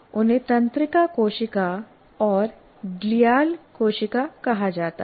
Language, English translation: Hindi, They are called nerve cells and glial cells